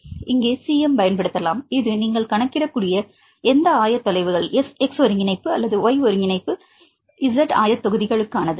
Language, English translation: Tamil, So, can use the cm here this is for the any coordinates x coordinate or y coordinate z coordinates you can calculate